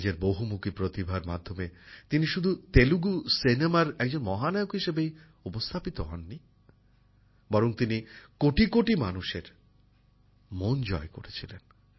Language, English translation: Bengali, On the strength of his versatility of talent, he not only became the superstar of Telugu cinema, but also won the hearts of crores of people